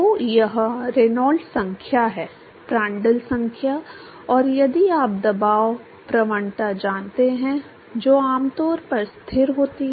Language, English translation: Hindi, So, this is Reynolds number, Prandtl number and if you know the pressure gradient which is typically a constant